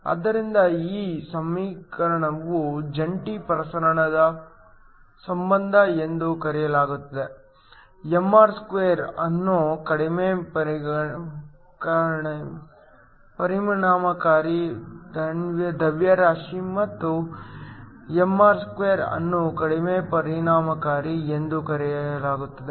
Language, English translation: Kannada, So, this equation is called the joint dispersion relation, mr* is called the reduced effective mass and one over mr* is called reduced effective